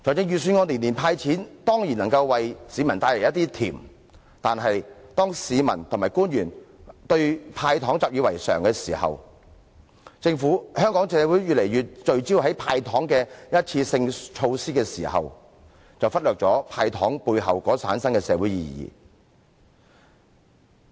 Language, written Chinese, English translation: Cantonese, 預算案每年"派錢"，當然能為市民帶來一點甜，但是，當市民和官員對"派糖"習以為常，香港社會越來越聚焦於"派糖"的一次性措施時，便會忽略"派糖"背後所產生的社會意義。, The annual handout of cash in the Budget can certainly bring a little sweetness to members of the public . However when members of the public and the officials treat the handout of candies as a norm and Hong Kong society becomes increasingly focused on one - off measures of giving away candies the social meaning behind the handout of candies will be neglected